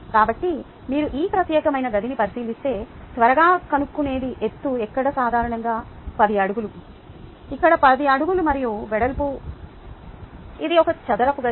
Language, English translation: Telugu, so if you look at this particular room, the quick thing to fix is the height, which would be typically about ten feet here, yeah, about ten feet here, and then, ah, the width